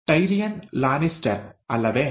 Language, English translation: Kannada, Tyrion Lannister, is it